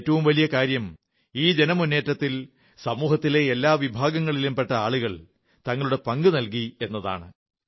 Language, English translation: Malayalam, And the best part is that in this campaign, people from all strata of society contributed wholeheartedly